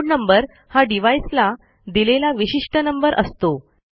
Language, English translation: Marathi, The inode number is a unique integer assigned to the device